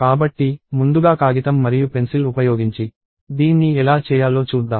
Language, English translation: Telugu, So, let us see how to do this using paper and pencil first